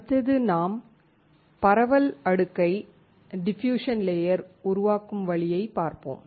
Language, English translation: Tamil, Another way is when you want to create the diffusion layer